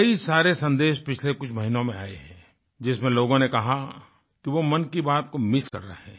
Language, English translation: Hindi, Over the last few months, many messages have poured in, with people stating that they have been missing 'Mann Ki Baat'